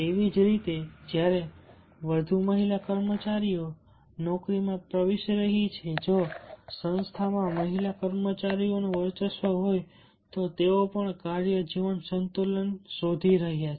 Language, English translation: Gujarati, similarly, when there are more family employees are entering into the job, if the organization is pre dominantly of the female employees, then they are also looking for work life balance